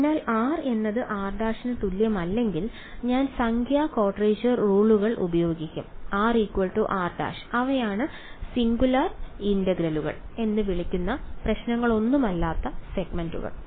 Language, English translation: Malayalam, So, when r is not equal to r prime I will use numerical quadrature rules no problem segments where r is equal to r prime those are what are called singular integrals